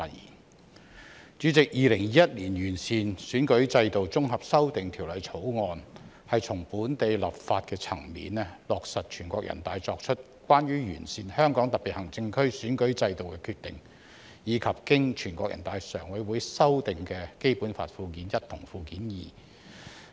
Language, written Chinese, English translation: Cantonese, 代理主席，《2021年完善選舉制度條例草案》旨在從本地立法層面落實《全國人民代表大會關於完善香港特別行政區選舉制度的決定》及經全國人民代表大會常務委員會修訂的《基本法》附件一和附件二。, Deputy Chairman the Improving Electoral System Bill 2021 the Bill seeks to implement the Decision of the National Peoples Congress on Improving the Electoral System of the Hong Kong Special Administrative Region as well as Annexes I and II to the Basic Law amended by the Standing Committee of the National Peoples Congress NPCSC at the local legislation level